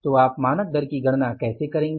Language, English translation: Hindi, So, how will calculate the standard rate